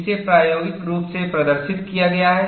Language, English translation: Hindi, It has been experimentally demonstrated